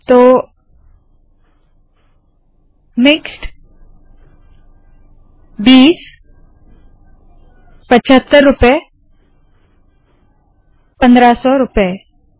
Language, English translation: Hindi, So mixed 75 rupees 1500 rupees